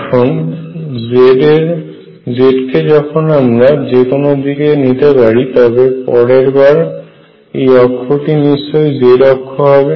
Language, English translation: Bengali, So, if it is chosen arbitrarily the next time this axis could be the z axis